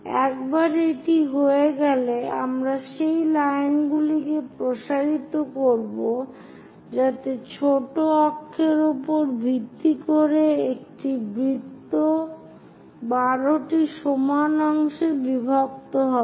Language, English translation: Bengali, Once it is done, we will extend those lines so that there will be minor axis base circle also divided into 12 equal parts